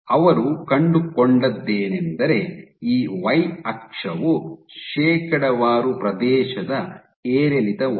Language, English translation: Kannada, So, what they found, so what they found is this, so my y axis is percentage area fluctuation